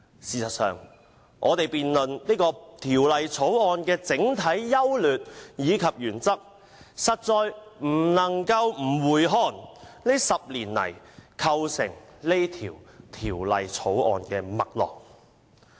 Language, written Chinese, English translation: Cantonese, 事實上，我們要辯論《條例草案》的整體優劣及原則，實在不能夠不回顧這10年來構成《條例草案》脈絡的事件。, In fact to debate the overall merits of the Bill and its principles it is inevitable not to review the events leading up to the Bill over the past decade